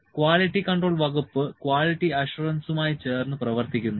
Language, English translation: Malayalam, C, the quality control department works with quality assurance as well